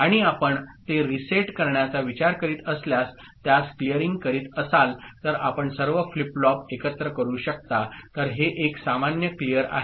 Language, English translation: Marathi, And if you are looking for resetting it, clearing it then you can do all the flip flops together right; so, it is a common clear